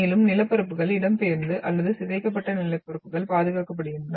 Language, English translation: Tamil, And the landforms are, displaced or deform landforms are preserved